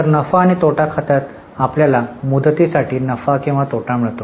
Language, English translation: Marathi, So, in P&L account we get profit or loss for the period